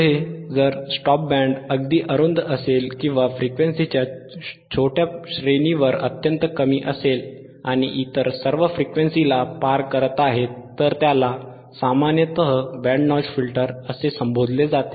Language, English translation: Marathi, Next if a “stop band” is very narrow or highly attenuated over a small range of frequencies, your stop band is extremely narrow or highly attenuated over a small range of frequencies, while passing all other frequencies, it is more commonly referred as “Band Notch Filter”